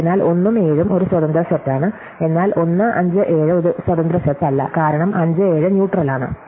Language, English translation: Malayalam, So, 1 and 7 is an independent set, but 1, 5, 7 is not an independent set, because 5, 7 is an edge